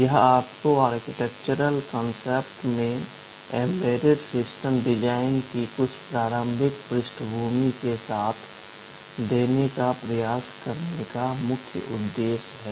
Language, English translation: Hindi, This is the main purpose of trying to give you with some of the initial backgrounds of embedded system design in the architectural concepts